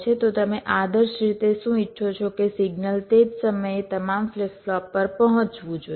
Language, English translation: Gujarati, so what you want ideally is that the signal should reach all flip flops all most at the same time